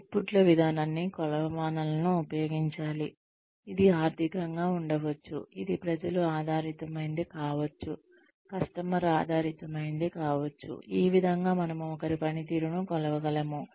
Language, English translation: Telugu, The outputs approach should be employed using metrics, which could be financial, which could be people oriented, which could be customer oriented, in terms of, this is how we could measure somebody's performance